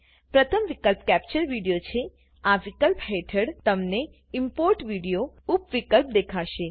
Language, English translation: Gujarati, Under this option, you will see the Import Video sub option